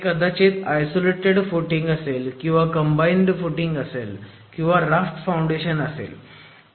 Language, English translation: Marathi, It could be either a isolated footing or a combined footing or a raft foundation